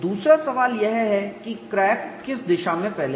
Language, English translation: Hindi, And the secondary question is what is the direction of crack propagation